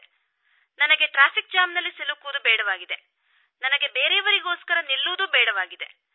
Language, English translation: Kannada, I don't have to be caught in a traffic jam and I don't have to stop for anyone as well